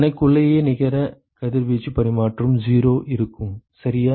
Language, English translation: Tamil, Net radiation exchange between itself will be 0 right